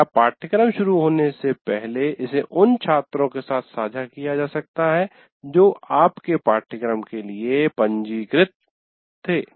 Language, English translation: Hindi, So or even on before the course also starts, this can be shared with the students who are registered for your course